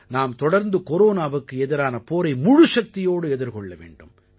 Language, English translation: Tamil, We have to firmly keep fighting against Corona